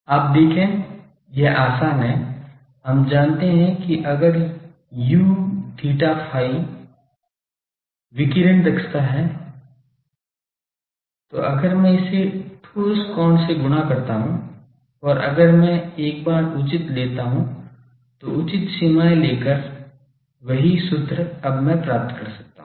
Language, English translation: Hindi, You see it is easy we know that if u theta phi is the radiation efficiency then if I multiply these by solid angle and if I take appropriate once then the same expression by taking the proper limits I can get it now